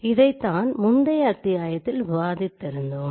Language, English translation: Tamil, So this we have already discussed in the previous class